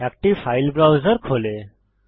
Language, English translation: Bengali, A file browser opens